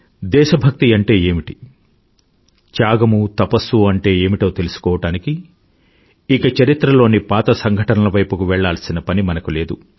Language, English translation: Telugu, To understand the virtues of patriotism, sacrifice and perseverance, one doesn't need to revert to historical events